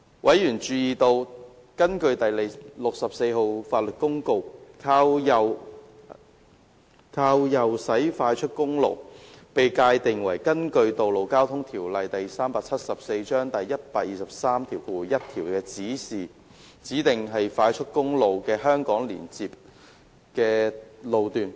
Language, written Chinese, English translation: Cantonese, 委員注意到，根據第64號法律公告，"靠右駛快速公路"被界定為根據《道路交通條例》第1231條指定為快速公路的香港連接路的路段。, It has come to the attention of members that under LN . 64 right - driving expressway is defined as the section of HKLR that is designated as an expressway under section 1231 of the Road Traffic Ordinance Cap . 374